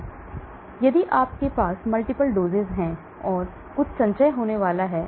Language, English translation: Hindi, So if you have multiple doses so there is going to be some accumulation